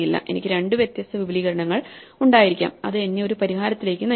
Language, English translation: Malayalam, So, I might have two different extensions which lead me to a solution